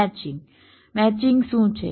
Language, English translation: Gujarati, what is a matching